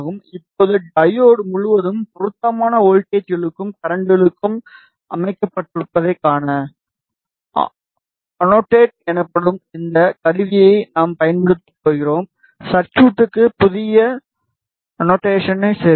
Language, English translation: Tamil, Now, to see that appropriate voltages and currents are set across the diode we are going to use this tool called annotate add new annotation to the circuit